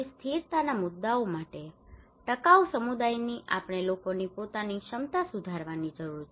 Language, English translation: Gujarati, Also for the sustainability issues, sustainable community we need to improve peoples own capacity